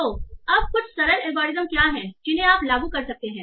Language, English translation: Hindi, So now, what are the some simple algorithm that you can apply